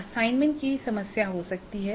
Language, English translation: Hindi, Then we can have assignment problems